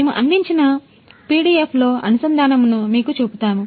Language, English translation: Telugu, We will show you the connection in the pdf we have provided